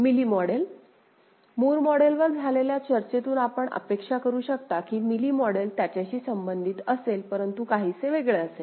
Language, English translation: Marathi, Mealy model from the discussion we had on Moore model you can expect that Mealy model will be related to it, but somewhat different